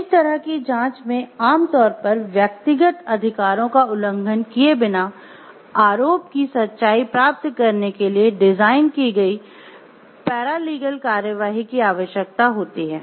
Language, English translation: Hindi, Such an investigation generally requires paralegal proceedings designed to get the truth for a given charge without violating the personal rights of those being investigated